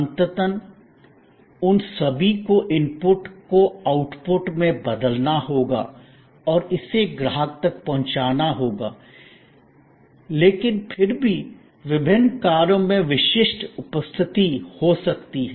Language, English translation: Hindi, Ultimately, they all have to convert inputs into an output and deliver it to customer, but yet the different functions can have distinctive presence